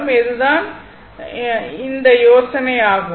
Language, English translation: Tamil, So, this is the idea